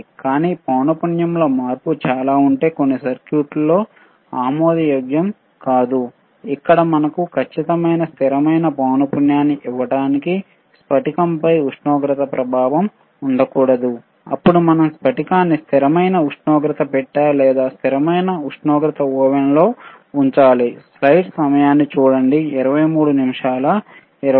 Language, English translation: Telugu, , bBut if that much also change in frequency is also not acceptable in some of the circuits, where we require the crystal to give us exact frequency, stable frequency, and there should be no effect of temperature, then we haved to keep the crystal in a box called the called the cConstant tTemperature bBox or cConstant tTemperature Ooven alright